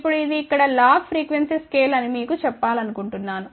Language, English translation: Telugu, Now, just want to tell you here this is a log frequency scale over here